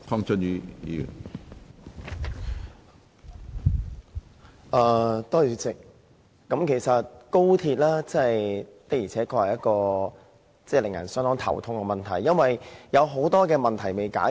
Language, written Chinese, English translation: Cantonese, 主席，高鐵的確令人相當頭痛，因為有很多問題尚未解決。, President XRL is really a headache since many issues remain unresolved